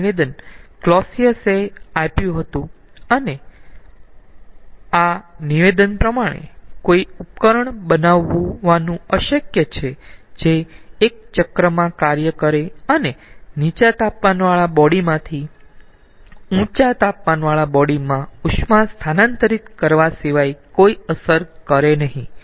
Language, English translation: Gujarati, so this statement was given by clausius and this statement goes like this: it is impossible to create a device which will operate in a cycle and we will produce no effect other than transferring heat from a low temperature body to a high temperature body